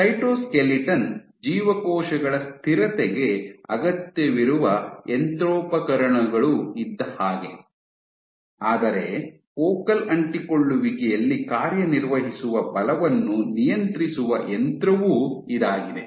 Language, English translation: Kannada, So, the cytoskeleton is the machinery which is required for cells stability, but also this is the one which regulates the forces which are acting at focal adhesions